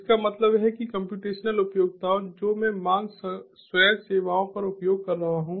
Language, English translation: Hindi, cloud utility that means the computational utility that i am using on demand self services